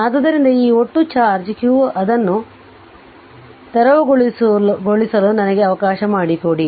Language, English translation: Kannada, So, this total charge q just let me let me clear it right